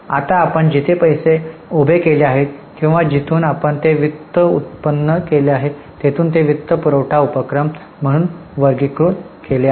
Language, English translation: Marathi, Now, from where you have raised the money or from where you have generated those finances, they are categorized as financing activities